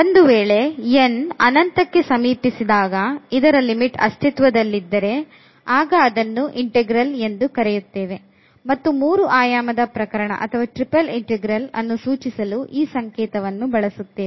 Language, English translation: Kannada, So, taking if this limit exists as n approaches to infinity in that case we call this as integral and the notation for this integral in the 3 dimensional case or for the triple integral we use this notation